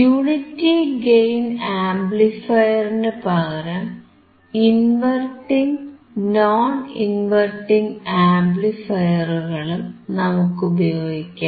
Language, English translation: Malayalam, Instead of unity gain amplifier, we can also use inverting and non inverting amplifier